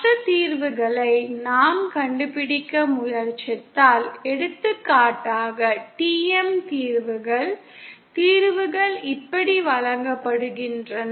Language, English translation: Tamil, If we try to find out the other solutions, for example the TM solutions, the solutions are given like this